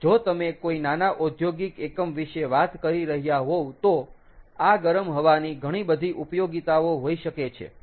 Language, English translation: Gujarati, if you are talking about a small industrial unit, this hot air can have a lot of applications, right